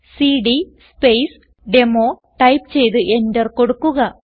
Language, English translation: Malayalam, So type cd Space Demo and hit Enter ls, press Enter